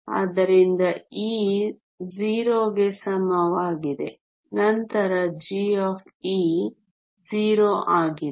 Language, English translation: Kannada, So, e is equal to 0 then g of e is 0